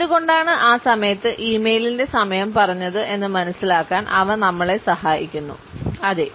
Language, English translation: Malayalam, They help us to understand, why did someone said that timing of the e mail at that point